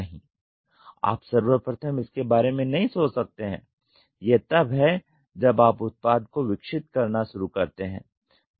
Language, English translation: Hindi, No you cannot think of upfront, what it does is as and when you start evolving the product